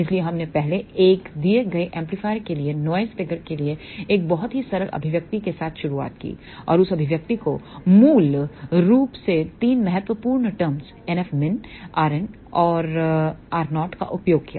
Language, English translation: Hindi, So, we first started with a very simple expression for noise figure for a given amplifier and that expression basically uses 3 important terms NF min, r n and gamma 0